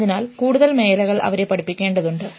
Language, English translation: Malayalam, So, more areas require to teach them